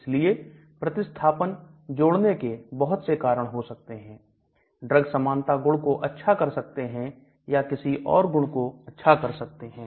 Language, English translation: Hindi, So many reasons to add these extra substitutions, to improve the drug likeness property or may be to improve others